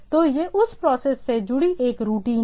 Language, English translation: Hindi, So, it is a routine attached with that process itself